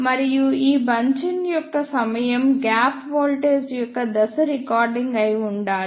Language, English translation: Telugu, And the timing of this bunching should be such that the phase of gap voltage should be retarding